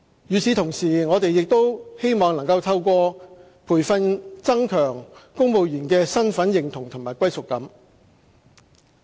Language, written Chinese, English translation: Cantonese, 與此同時，我們亦希望能透過培訓增強公務員的身份認同和歸屬感。, At the same time we also hope to enhance the identity and sense of belonging of our civil servants